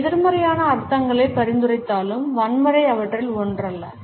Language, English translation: Tamil, Even though it may suggest negative connotations, but violence is never one of them